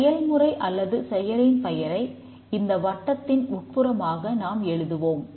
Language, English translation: Tamil, We write the name of the process or the function here inside the circle